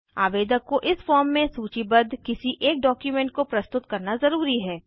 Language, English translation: Hindi, Applicants must furnish any one document from the options listed in the form